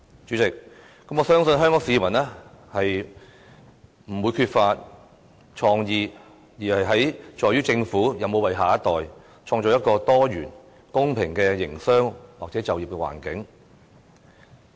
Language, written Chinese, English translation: Cantonese, 主席，我相信香港市民不是缺乏創意，而是在於政府有否為下一代創造一個多元、公平的營商或就業環境。, President I do not think that Hong Kong people are lacking in creativity . Rather the problem is this has the Government built a business or employment environment which is both diversified and fair for the young generation?